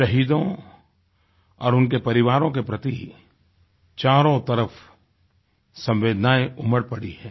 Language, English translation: Hindi, All around, there is a deluge of strong feelings of sympathy for the martyrs & their family members